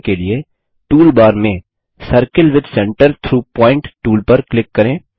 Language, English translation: Hindi, To do this click on the Circle with Centre through Point tool